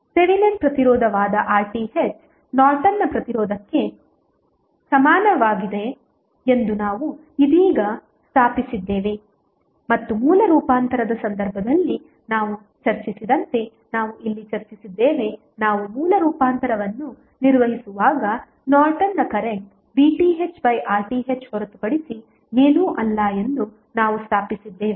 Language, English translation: Kannada, We have just stabilized that R Th that is Thevenin resistance is nothing but equal to Norton's resistance and as we discussed in case of source transformation this is what we discussed here we stabilized that when we carry out the source transformation the Norton's current is nothing but V Thevenin divided by R Thevenin